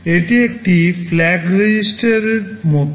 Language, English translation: Bengali, This is like a flag register